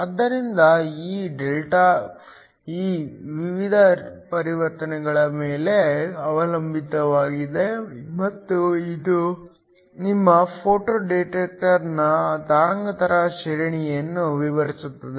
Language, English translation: Kannada, So, this delta E depends on a variety of transitions and this defines the wavelength range of your photo detector